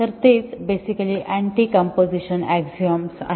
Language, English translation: Marathi, So, that is basically the anti composition axiom,again